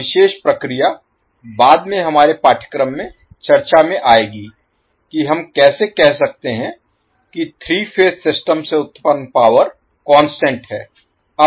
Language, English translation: Hindi, So, this particular phenomena will discuss in later our course that how we can say that the power which is generated from the 3 phase system is constant